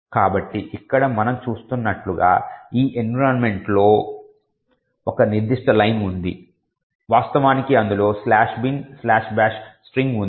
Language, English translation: Telugu, So, as we see over here there is one particular line in this environment variables which actually has the string slash bin slash bash